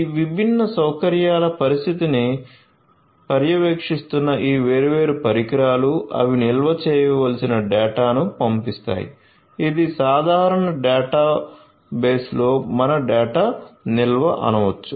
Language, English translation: Telugu, These different devices which are monitoring the condition of these different facilities, they are going to throw in data which will have to be stored; this is your storage of the data in the common database